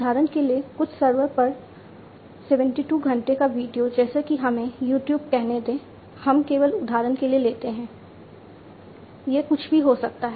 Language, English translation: Hindi, For example, some 72 hours of video on some server such as let us say YouTube; let us just take for example, it could be anything